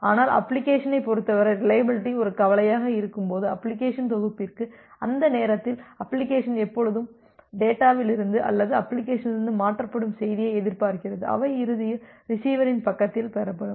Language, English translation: Tamil, But for the application, for the set of applications when reliability is a concern, during that time the application always expects that the data or the message that is transferred from the application, they will be eventually received at the receiver side